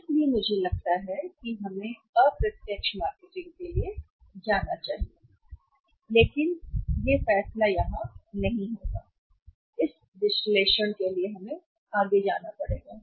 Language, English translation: Hindi, So, I think we should go for the indirect marketing but the decision does not come here we will have to go for the further analysis also